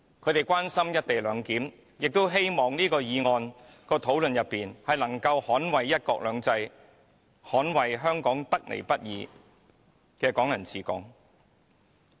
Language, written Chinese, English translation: Cantonese, 他們關心"一地兩檢"，亦希望議員能夠在這項議案辯論中捍衞"一國兩制"，捍衞香港得來不易的"港人治港"。, They are concerned about the co - location arrangement with the hope that Members can in this motion debate safeguard one country two systems and safeguard Hong Kongs hard - earned Hong Kong people ruling Hong Kong